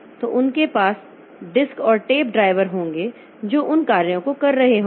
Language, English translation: Hindi, So, they will have the disk and tape drivers which will be doing those operations